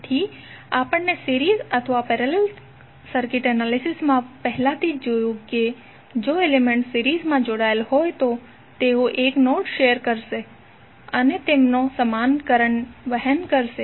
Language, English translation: Gujarati, So that we have already seen in the series and parallel circuit analysis that if the elements are connected in series means they will share a single node and they will carry the same amount of current